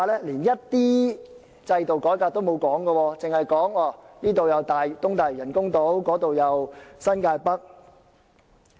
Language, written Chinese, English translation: Cantonese, 連一點制度改革也不提，只是提及東大嶼人工島、新界北發展等。, It is silent on reforming the system but only mentions the artificial island in Eastern Lantau and the North New Territories Development Areas etc